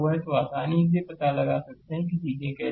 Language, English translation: Hindi, So, you can easily make out that how things are